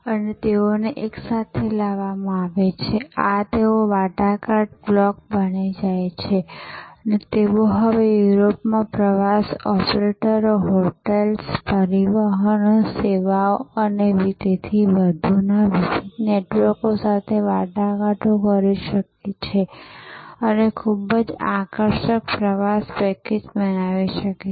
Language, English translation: Gujarati, And they are brought together this they become a negotiating block and they can now start negotiating with different networks of tour operators, hotels, transport services and so on in Europe and can create a very attractive tour package